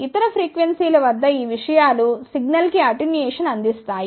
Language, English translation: Telugu, At other frequencies these things will provide attenuation to the signal